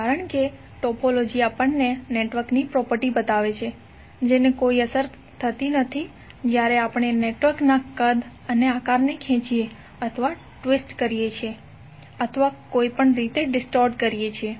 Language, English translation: Gujarati, Because the topology shows us the property of the network which is unaffected when we stretch, twist or distort the size and shape of the network